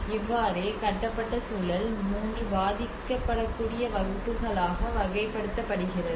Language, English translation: Tamil, That is how the categorization of the built environment into 3 vulnerable classes